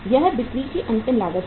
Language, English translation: Hindi, This is the final cost of sales